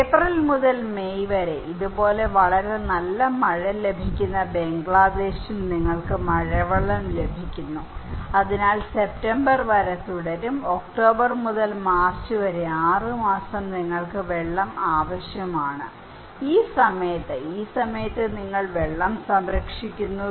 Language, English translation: Malayalam, Bangladesh which has a very good rainfall like this one from April to May, you get a rainwater so, it continues till September so, from October to March, 6 months you need water so, you preserve water during this time in the end of this and then you can continue for this 6 months and during this time you have always rainwater